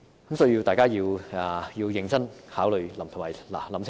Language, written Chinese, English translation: Cantonese, 因此，大家必須認真考慮及思考清楚。, Therefore we must consider this issue seriously and give it careful thoughts